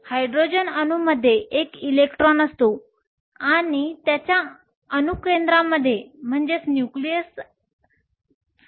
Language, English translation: Marathi, Hydrogen atom has one electron and it has one proton in the nucleus